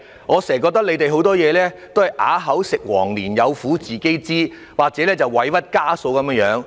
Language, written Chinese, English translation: Cantonese, 我覺得局方做事經常都"啞子食黃蓮，有苦自己知"，好像受盡委屈的家嫂般。, I find that the Bureau often acts like a mute victim who is unable to complain or a woman who feels grievously wronged by her mother - in - law